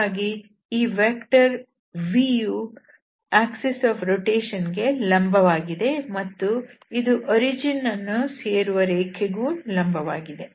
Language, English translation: Kannada, So, this vector v is also perpendicular to this axis of rotation and this is all also perpendicular to the line which is meeting to the origin there